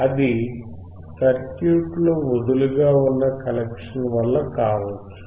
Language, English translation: Telugu, That may be due to the loose connection in the circuit